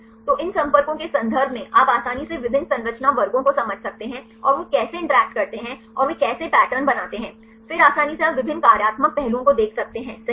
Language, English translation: Hindi, So, in terms of these contacts, you can easily understand different structure classes and how they interact and how they make the patterns, then easily you can see the different functional aspects right